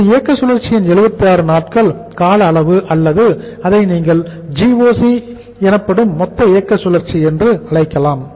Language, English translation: Tamil, This is 76 days duration of the operating cycle or you can call it as the gross operating cycle that is DOC